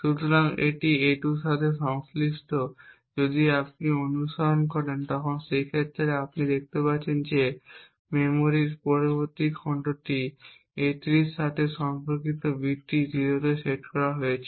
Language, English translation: Bengali, So, corresponding to a2 over here for instance if you just follow these fields, we see that the next chunk of memory corresponding to a3 the in use bit is set to 0